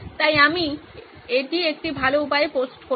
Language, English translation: Bengali, So I’ll post it in a better way